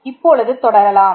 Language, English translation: Tamil, Let us continue